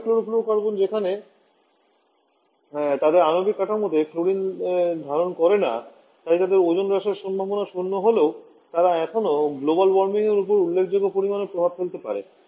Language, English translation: Bengali, Whereas hydrofluorocarbon does not have included in the molecular structure so there ozone depletion potential is zero, but they still can have significant amount of effect on the global warming